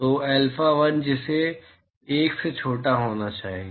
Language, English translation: Hindi, So, alpha1 that has to be smaller than 1